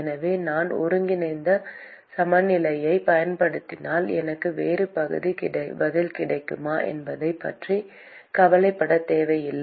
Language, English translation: Tamil, So, there is no need to worry about whether if I use integral balance, will I get a different answer